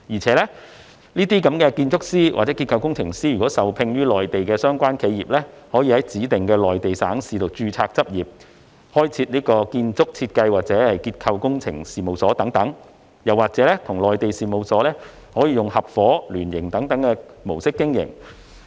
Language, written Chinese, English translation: Cantonese, 此外，該等建築師和結構工程師如受聘於內地的相關企業，可以在指定的內地省市註冊執業、開設建築設計或結構工程等事務所，或與內地事務所以合夥或聯營等模式經營。, Besides if such architects or structural engineers are engaged or employed by relevant enterprises in the Mainland they are allowed to register for practice in designated provinces and cities and establish architectural design structural engineering or other related firms or operate those firms in the form of partnership or association with their Mainland partners